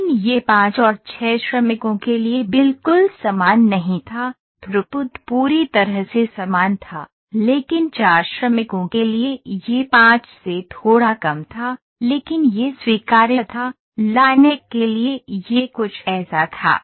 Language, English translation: Hindi, Similar it was not exactly same for 5 and 6 workers the throughput was completely similar, but for 4 workers it was a little lesser than 5, but that was acceptable, for the line 1 it was something like this